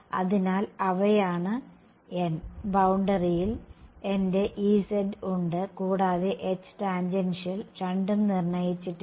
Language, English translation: Malayalam, So, those are those n, on the boundary I have my H z and E tan both are undetermined